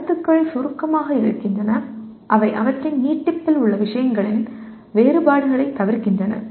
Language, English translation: Tamil, Concepts are abstracts in that they omit the differences of the things in their extension